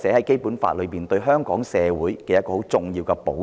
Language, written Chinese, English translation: Cantonese, 《基本法》中亦對香港社會提供很重要的保障。, Also the Basic Law has provided a very important safeguard for the community of Hong Kong